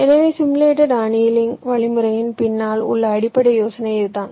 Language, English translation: Tamil, so this is the basis idea behind the simulation, simulated annealing algorithm